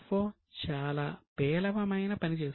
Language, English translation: Telugu, CFO had done a very poor job